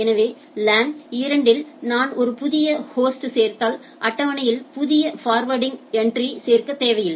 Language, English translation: Tamil, So, in the LAN 2 if I add a new host so you does not require adding a new forwarding entry into the table